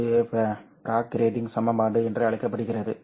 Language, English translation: Tamil, This is called as the bragg grating equation